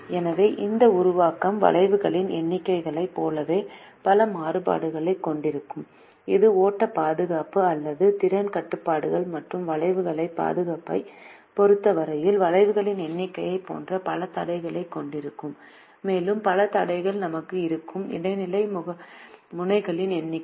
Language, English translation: Tamil, it will have as many constraints as the number of arcs, which are the flow conservation or the capacity constraints, and with respect to flow conservation, we will have as many constraints as the number of intermediate nodes